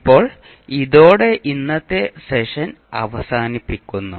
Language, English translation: Malayalam, So now with these, we can close our today’s session